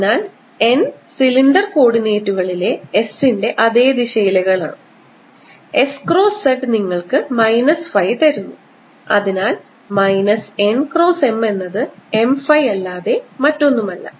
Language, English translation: Malayalam, so m ah, n is in the same direction as s in the cylindrical coordinates and s cross z gives you minus phi and therefore n cross m with a minus sign is nothing but m phi